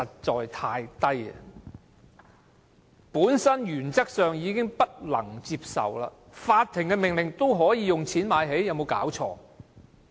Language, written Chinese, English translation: Cantonese, 這原則本身已難以接受，法庭的命令竟可以用錢"買起"，說得通嗎？, This principle itself is already hard to accept . A court order can be bought up . Does it make sense?